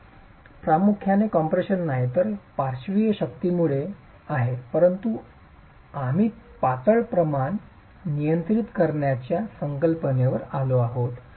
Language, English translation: Marathi, That's not primarily in compression but because of the lateral forces but we come back to the concept of slendonous ratios being controlled